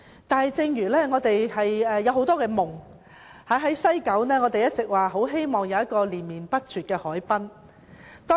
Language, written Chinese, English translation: Cantonese, 但是，我們仍有很多夢想，例如我們一直希望能在西九有連綿不絕的海濱長廊。, Nevertheless we still have many dreams . For example we always wish to have a continuous harbourfront promenade in Kowloon West